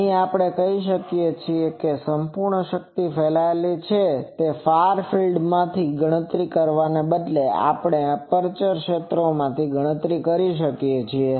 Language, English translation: Gujarati, So, we can say that total power radiated instead of calculating from the far fields, we can also calculate from the aperture fields